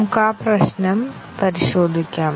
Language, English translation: Malayalam, Let us examine that problem